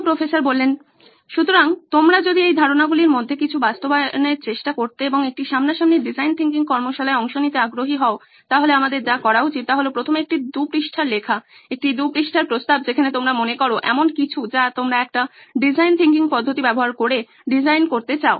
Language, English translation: Bengali, So if you are interested in trying to put some of these ideas into practice and attending a face to face design thinking workshop then what we should do is first come up with a 2 page write up, a 2 page proposal where you think of something that you would like to design using a design thinking approach